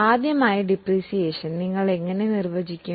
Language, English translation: Malayalam, First of all, how do you define depreciation